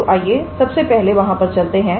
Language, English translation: Hindi, So, let us not go there first of all